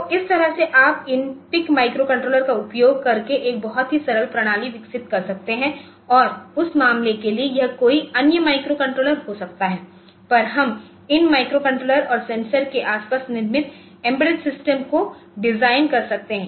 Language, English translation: Hindi, So, this way you can develop a very simple system using this PIC microcontrollers or for that matter it can be any other microcontroller, but we can design embedded systems built around these microcontrollers and sensors ok